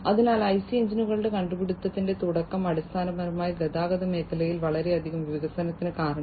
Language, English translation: Malayalam, So, the starting of the or the invention of IC engines basically led to lot of development in the transportation sector